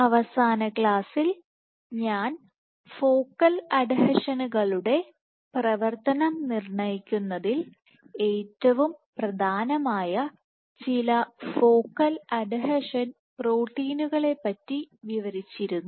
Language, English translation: Malayalam, In the last class I describe some of the focal adhesions proteins which are most prominent in dictating the function of focal adhesions